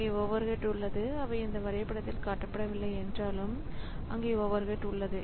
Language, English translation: Tamil, So, those overheads are there so though it is not shown in this diagram so those overhead there